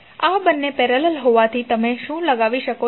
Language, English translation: Gujarati, So since these two are in parallel, what you can apply